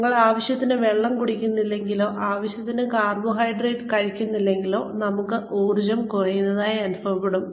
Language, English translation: Malayalam, If, we are not consuming enough water, or if we are not taking in enough carbohydrates, we do tend to feel, depleted of energy